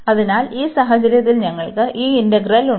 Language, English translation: Malayalam, So, in this case we have this integral